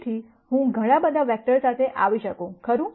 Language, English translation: Gujarati, So, I could come up with many many vectors, right